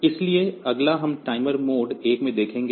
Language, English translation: Hindi, So, next we will look into the timer mode 1